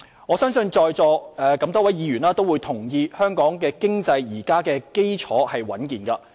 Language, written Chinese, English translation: Cantonese, 我相信在座多位議員都同意，香港經濟基礎現時十分穩健。, I believe many Honourable Members in this Chamber will agree that the fundamentals of Hong Kong economy are stable and healthy